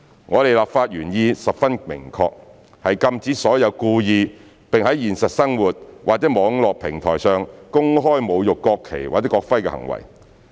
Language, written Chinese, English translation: Cantonese, 我們的立法原意十分明確，是禁止所有故意，並在現實生活或網絡平台上公開侮辱國旗或國徽的行為。, Our legislative intent is very clear that is to prohibit all public and intentional desecrating acts in relation to the national flag and national emblem committed in both real life and on online platforms